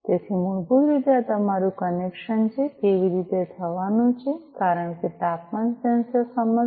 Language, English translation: Gujarati, So, this is basically how your connection is going to happen because the temperature sensor will sense